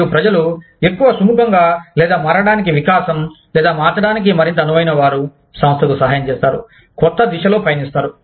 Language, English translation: Telugu, And, people, who are more willing, or open to change, or more flexible to change, will help the organization, move in the new direction